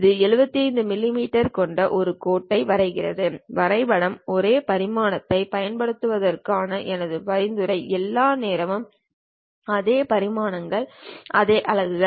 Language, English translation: Tamil, It draws a line with 75 mm my suggestion is all the time for the drawing use same dimension; same in the sense same units of dimensions